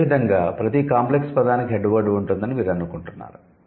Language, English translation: Telugu, So, do you think each of the compound word would have a head word